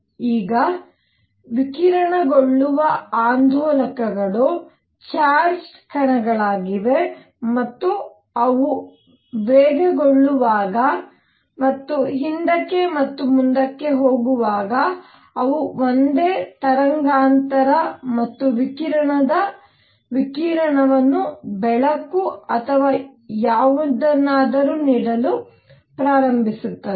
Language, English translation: Kannada, Now, let me explain that oscillators that radiate are charged particles and as they accelerate and go back and forth, they start giving out radiation of the same frequency and radiation of course, as light or whatever